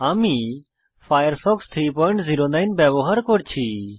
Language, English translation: Bengali, I am using Firefox 3.09